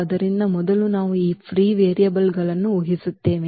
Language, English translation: Kannada, So, first we will assume these free variables